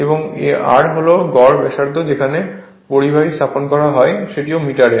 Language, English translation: Bengali, And r is average radius at which conductors are placed that is also metre